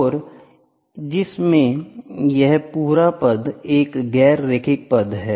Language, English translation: Hindi, And in which this entire term is a non linear term, ok